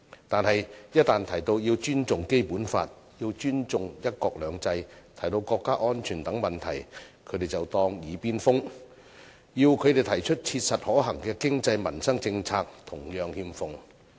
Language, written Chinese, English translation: Cantonese, 但是，一旦提到要尊重《基本法》，要尊重"一國兩制"，提到國家安全等問題，他們卻當作"耳邊風"，要他們提出切實可行的經濟民生政策同樣欠奉。, However they pay no heed to the words about respecting the Basic Law one country two systems and also national security . If they are asked to propose practical and feasible economic and livelihood policies they are unable to do so either